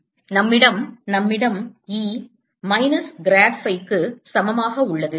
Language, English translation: Tamil, e equals minus grad phi